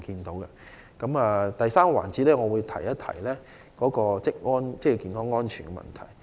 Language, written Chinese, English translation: Cantonese, 在第三個環節中，我會提述職業安全健康的問題。, I will discuss occupational safety and health in the third session